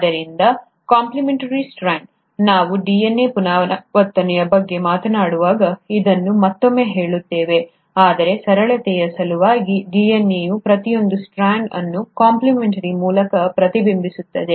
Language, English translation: Kannada, So the complimentary strand, we’ll cover this again when we talk about DNA replication, but for the simplicity sake, each strand of DNA mirrors it through a complimentary strand